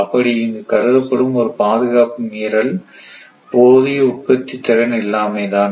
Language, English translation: Tamil, So, the only breach of security considered here is insufficient generation capacity